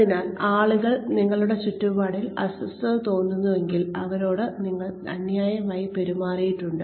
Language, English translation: Malayalam, So, if people feel uncomfortable around you, they have been treated, unfairly